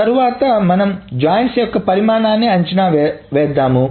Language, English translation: Telugu, Next we will estimate the size of joints